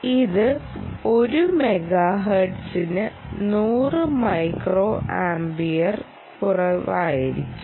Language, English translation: Malayalam, there are basic claims that this should be less than hundred micro amps per megahertz